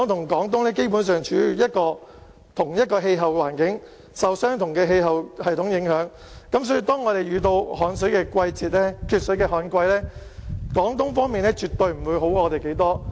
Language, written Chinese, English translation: Cantonese, 而香港與廣東基本上處於同一氣候環境，受相同的氣候系統影響，當我們遇到缺水的旱季，廣東方面絕對不會比我們好太多。, Hong Kong and Guangdong Province are located within the same climatic zone sharing basically the same climatic condition . When there is drought in Hong Kong Guangdong Province will be surely no better than us